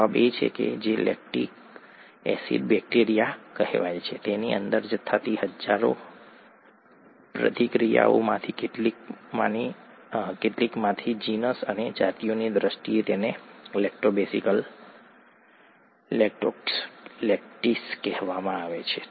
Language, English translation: Gujarati, The answer is, from some among the thousands of reactions that occur inside what is called the lactic acid bacteria, in the terms of genus and species, it’s called Lactobacillus, Lactococcus Lactis